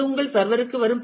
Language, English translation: Tamil, That will come to your server